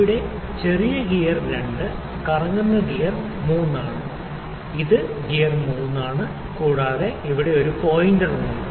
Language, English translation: Malayalam, This small gear 2 is rotating gear 3, this is my gear 3 and also I have the pin here sorry pointer here